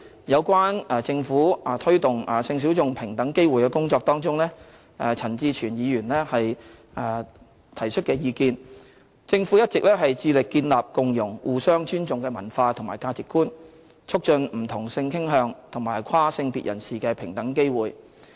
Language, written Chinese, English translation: Cantonese, 有關政府推動性小眾平等機會的工作中，就陳志全議員提出的意見，政府一直致力建立共融和互相尊重的文化和價值觀，促進不同性傾向和跨性別人士的平等機會。, With regard to the views expressed by Mr CHAN Chi - chuen on the Governments efforts in promoting equal opportunities for the sexual minorities the Government has all along been committed to fostering the culture and values of inclusiveness and mutual respect and promoting equal opportunities for people of different sexual orientation and gender identity